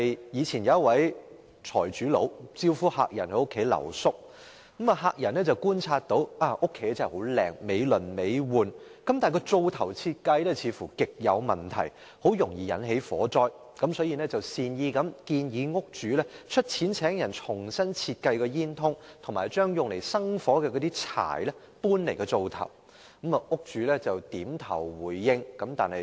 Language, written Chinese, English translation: Cantonese, 以前有一名財主招呼客人在家裏留宿，客人觀察到這個家真的很漂亮，美輪美奐，但灶頭的設計似乎極有問題，很容易引起火災，所以便善意地建議屋主出錢請人重新設計煙囱和將用以生火的柴搬離灶頭。, Once upon a time a rich man invited a guest to stay overnight in his house . The guest noticed that the design of the stove in his extravagant house with elaborate furnishings seemed to be very problematic as it would catch fire very easily . So he kindly advised the house owner to engage a workman to redesign the chimney and move the firewood away from the stove